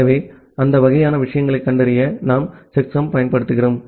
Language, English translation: Tamil, So, just to detect those kinds of things we apply the checksum